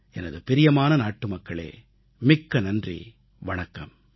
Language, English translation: Tamil, My dear countrymen, thank you very much